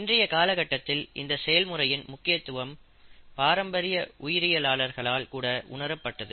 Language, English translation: Tamil, More and more, that is being realized more and more even by classical biologists nowadays